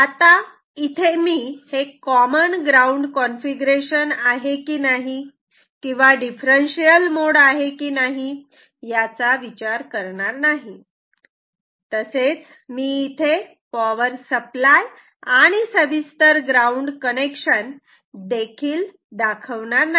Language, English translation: Marathi, Right now, I do not bother whether this is connected in a with a common ground configuration or the differential mode, differential input mode; I am not also drawing the power supply and detail ground connection etcetera